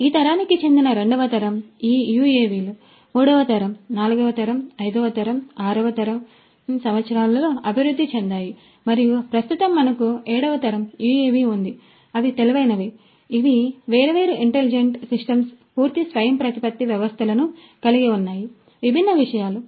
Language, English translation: Telugu, That was the second generation like this these UAVs have evolved over the years third generation, fourth generation, fifth generation, sixth generation and at present we have the seventh generation UAV which have intelligent, which have different intelligent systems fully autonomous systems in place for doing different things